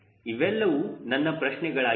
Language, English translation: Kannada, these are my questions